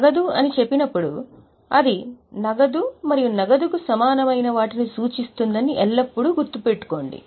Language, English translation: Telugu, Always keep in mind that when we say cash it refers to cash and cash equivalents